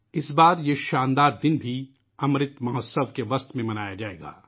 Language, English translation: Urdu, This time this pride filled day will be celebrated amid Amrit Mahotsav